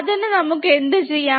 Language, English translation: Malayalam, So, for what to do that